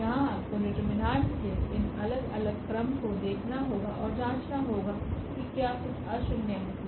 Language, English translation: Hindi, Here you have to look for these different orders of determinants and check whether something is nonzero